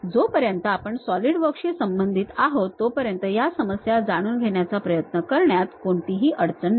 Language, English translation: Marathi, As long as we are sticking with Solidworks trying to learn these issues are not really any hassle thing